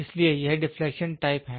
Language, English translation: Hindi, So, this is deflection type